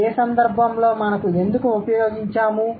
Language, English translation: Telugu, And in what case, why did we use it